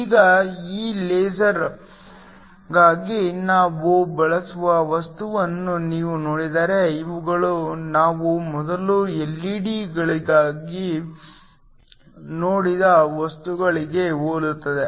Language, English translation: Kannada, Now, if you look at materials at we use for laser, these are very similar to the materials that we saw earlier for LED’s